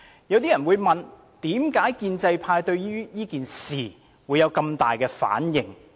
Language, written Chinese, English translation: Cantonese, 有些人會問，為何建制派對此事有這麼大的反應？, Some people may ask why the pro - establishment camp has such a strong reaction to this matter . The answer is very simple